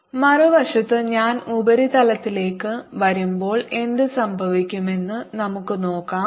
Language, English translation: Malayalam, on the other hand, let us see what happens when i come to the surface